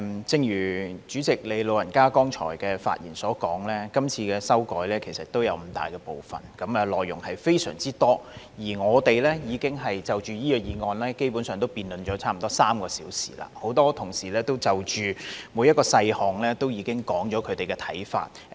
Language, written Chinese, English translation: Cantonese, 正如代理主席剛才的發言所說，今次的修改有五大部分，內容非常多，而我們已經就這項議案，辯論了差不多3小時，很多同事已就每一個細項說出他們的看法。, As the Deputy President said in her earlier speech the amendments this time around encompass five major parts involving substantial contents . Our debate on this motion has gone on for almost three hours and many Members have already put forth their views on every detail therein